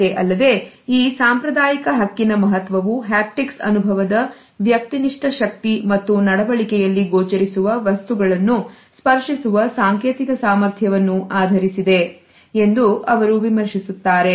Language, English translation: Kannada, And she is commented that “the significance of this traditional right is based on the subjective power of the haptic experience and the symbolic potency of the visible tactual artifact in behavior”